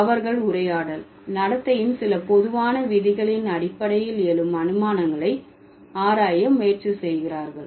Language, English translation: Tamil, They try to study the inferences that arise on the basis of some general rules of maxims of conversational behavior